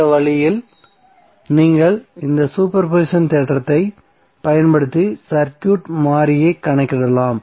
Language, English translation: Tamil, So in this way you can use these super position theorem to calculate the circuit variable